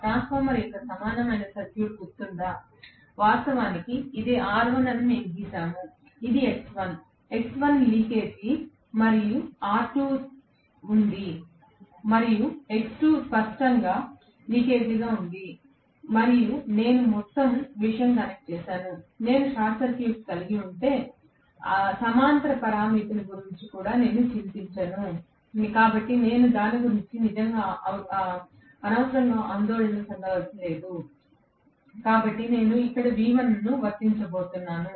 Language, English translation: Telugu, You remember, the equivalent circuit of the transformer, where actually we drew that this is R1, this is X1, X1 was leakage and I had R2, and X2 was leakage clearly, and I had the entire thing connected; I am not even worried about the parallel parameter, if I have short circuited, so I am not really unduly worried about it, so I am going to apply V1 here